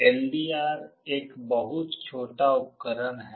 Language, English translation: Hindi, LDR is a very small device